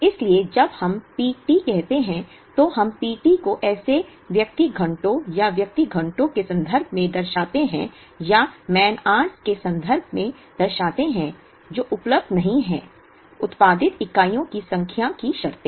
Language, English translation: Hindi, So, when we say P t, we represent P t in terms of man hours or person hours available not in terms of number of units produced